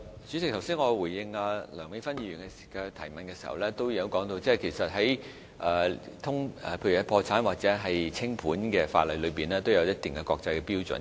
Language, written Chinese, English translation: Cantonese, 主席，我剛才回應梁美芬議員的補充質詢時，也提到在破產或清盤的法例中，存在一定的國際標準。, President when replying to the supplementary question put forward by Dr Priscilla LEUNG a moment ago I said that there were certain international norms with regard to bankruptcy or winding - up legislation